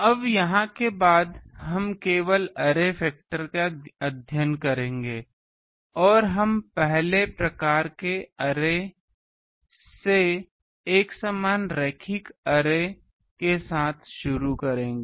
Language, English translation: Hindi, Now here after we will study only the array factor and we will start with the first type of array is uniform linear array